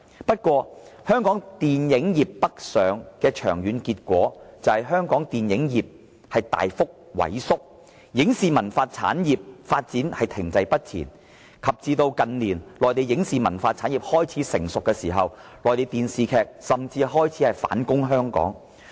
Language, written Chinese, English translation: Cantonese, 然而，香港電影業北上的長遠結果，就是香港電影業大幅萎縮，影視文化產業的發展停滯不前，以至近年內地的影視文化產業開始成熟，內地電視劇甚至開始反攻香港。, Nevertheless the northward movement of the Hong Kong film industry has come to produce long - term impacts on Hong Kong the drastic shrinkage of its film industry and the stagnancy of its film television and cultural industries . In recent years as the Mainlands film television and cultural industries gradually develop Mainland television dramas have even started to make inroads into Hong Kong like never before